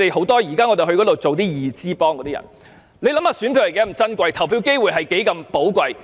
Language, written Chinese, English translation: Cantonese, 大家想一想，選舉是多麼珍貴？投票機會是多麼寶貴？, People can imagine how precious our election is and also how precious our opportunity to vote is